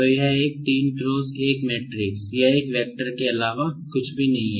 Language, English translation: Hindi, So, this is nothing but a 3 cross 1 matrix or a vector